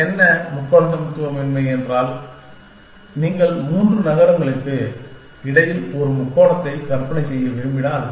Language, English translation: Tamil, But, what triangle inequality says that, if you want to imagine a triangle between three cities